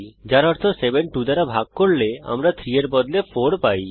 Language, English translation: Bengali, When 7 is divided by 2, we get 3